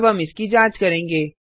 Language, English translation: Hindi, Now we will check it out